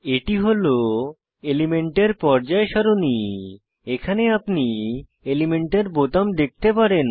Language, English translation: Bengali, This is a Periodic table of elements, here you can see element buttons